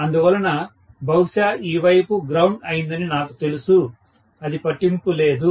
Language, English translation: Telugu, So, I know for sure that probably this side is grounded, it doesn’t matter